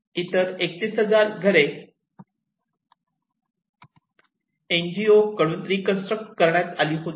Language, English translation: Marathi, And, another 31,000 was NGO reconstructed houses